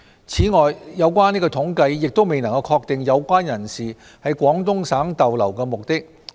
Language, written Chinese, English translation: Cantonese, 此外，有關統計亦未能確定有關人士在廣東省逗留的目的。, Besides their purposes of stay in the Guangdong Province could not be ascertained in the estimation